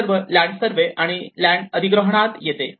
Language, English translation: Marathi, So, all this comes in the land survey and acquisition